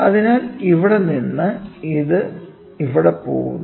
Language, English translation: Malayalam, So, from here it goes to here